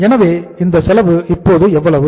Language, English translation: Tamil, So this cost works out as how much now